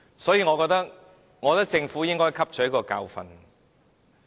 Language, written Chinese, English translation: Cantonese, 所以，我認為政府應該汲取教訓。, Therefore I consider that the Government should learn from lessons